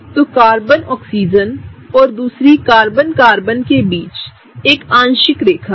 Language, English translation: Hindi, So, there is a partial line between Carbon Oxygen and the other Carbon Carbon